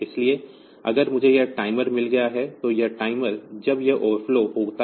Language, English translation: Hindi, So, if I have got this timer, now this timer when it overflows